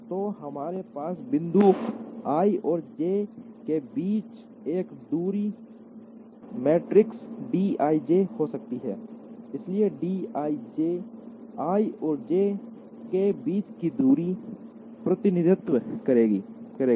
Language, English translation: Hindi, So, we can also have a distance matrix d i j between points i and j, so d i j will represent the distance between i and j